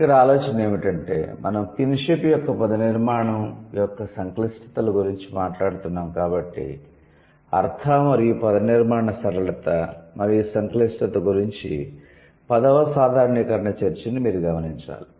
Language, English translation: Telugu, The idea here is that, so now since we are talking about the complexities of morphological structure of kinship, so you need to notice the tenths generalization talks about the semantic and morphological simplicity versus complexity